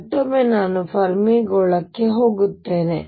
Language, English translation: Kannada, Again I will go to the Fermi sphere